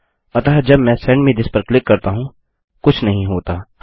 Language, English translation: Hindi, So when I click Send me this, nothing happens